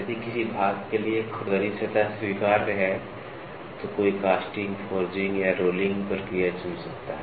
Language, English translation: Hindi, If rough surface for a part is acceptable one may choose a casting, forging or rolling process